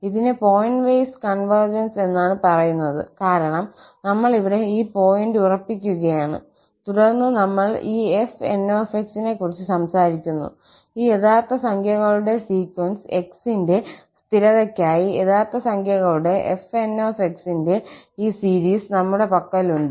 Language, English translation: Malayalam, So, here it is pointwise convergence, it is called pointwise convergence because we are fixing the point and then we are talking about this fn, the sequence of these real numbers for fixed of x, we have these sequence of real numbers fn